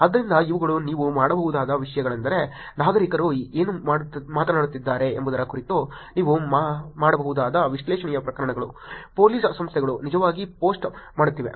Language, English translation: Kannada, So, these are things that you can do this is the types of analysis that you can do in terms of what citizens are talking about, what police organizations are actually posting